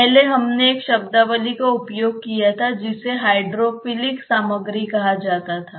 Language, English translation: Hindi, Earlier we used a terminology called as hydrophilic material